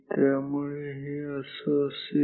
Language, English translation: Marathi, So, this will be like this